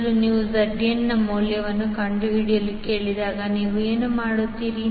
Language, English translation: Kannada, So when you, when you are ask to find the value of Zn first what you will do